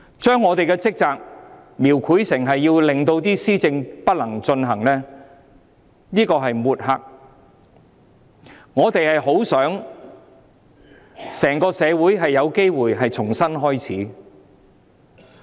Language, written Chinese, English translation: Cantonese, 將我們的職責描繪成阻礙施政，這是抹黑，我們希望整個社會有機會重新開始。, Depicting our duty as an obstruction to policy administration is smearing . We hope that there will be a chance for the entire society to start afresh